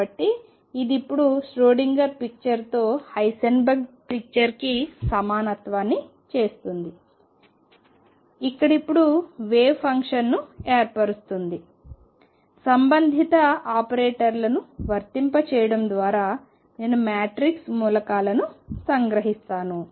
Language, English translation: Telugu, So, this now makes a equivalence of the Heisenberg picture with Schrödinger picture where now form the wave function I extract the matrix elements by applying the corresponding operators does it make sense